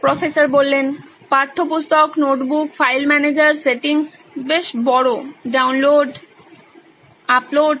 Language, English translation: Bengali, Textbook, notebook, file manager, settings, pretty big, download, upload